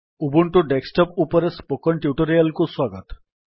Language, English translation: Odia, Welcome to this spoken tutorial on Ubuntu Desktop